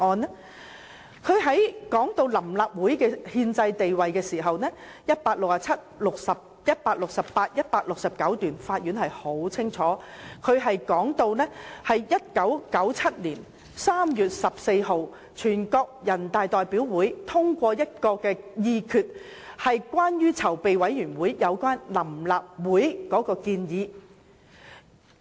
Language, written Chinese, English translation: Cantonese, 法院判詞在談到臨時立法會的憲制地位時，在第167、168及169段清楚指出1997年3月14日，全國人民代表大會議決接納籌備委員會有關成立臨立會的建議。, Speaking of the constitutional status of the Provisional Legislative Council PLC the Court made it clear in paragraphs 167 168 and 169 of its judgment that on 14 March 1997 the National Peoples Congress resolved to approve the proposal to form PLC made by the Preparatory Committee